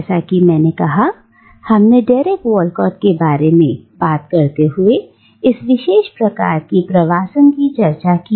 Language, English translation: Hindi, Now, as I said, we have already discussed this particular kind of migration when we talked about Derek Walcott